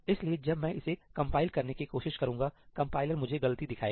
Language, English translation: Hindi, So, when I try to compile it, the compiler will give me an error